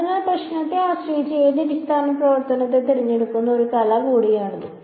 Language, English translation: Malayalam, So, this is also bit of a art choosing which basis function depending on the problem